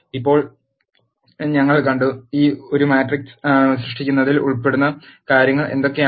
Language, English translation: Malayalam, Now, we have seen; what are the things that are involved in creating a matrix